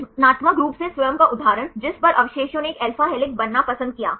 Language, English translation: Hindi, Creatively own example on which residues preferred to be an alpha helix